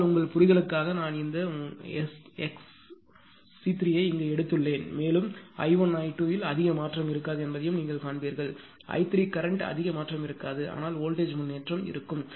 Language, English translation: Tamil, So, that was the that, but ah just for your understanding I have taken here here this your ah x c 3 and here you will also see that i 1, i 2 there will be not much change; even i 3 also there will be not much change in the current but voltage improvement will be there